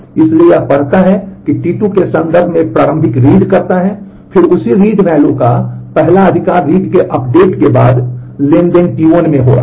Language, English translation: Hindi, So, it reads it does an initial read in terms of T 2 and, then the first right of that read value is happening in the transaction T 1 after the update of the read